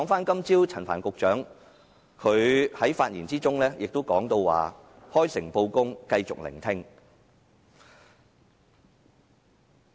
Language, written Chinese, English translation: Cantonese, 今早陳帆局長在發言中提到"開誠布公，繼續聆聽"。, In his speech this morning Secretary Frank CHAN mentioned frank and open disclosure and continued listening